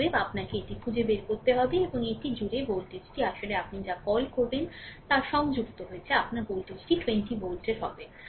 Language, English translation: Bengali, Therefore you have to find then this and across this across this the voltage actually will be 20 volt your what you call is connected